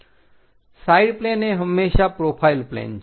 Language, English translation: Gujarati, Side planes are always be profile planes